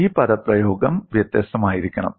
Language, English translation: Malayalam, This expression has to be different